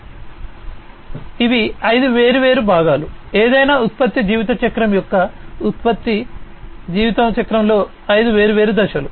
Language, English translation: Telugu, So, these are the five different parts, five different phases in the product lifecycle of any product lifecycle